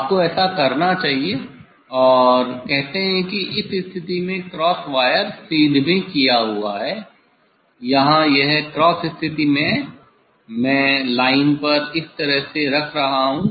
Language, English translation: Hindi, say it is at this at this position cross wire is aligned or here this cross position, I put on the line is like this